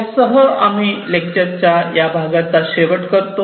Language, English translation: Marathi, With this we come to an end of this part of the lecture